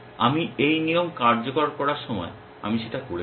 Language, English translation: Bengali, What I have done when I executed this rule